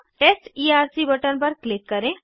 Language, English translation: Hindi, Click on Test Erc button